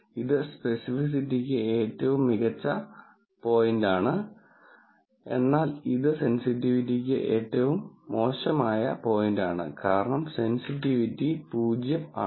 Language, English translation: Malayalam, So, this is best point for specificity, but it is the worst point for sensitivity, because sensitivity is 0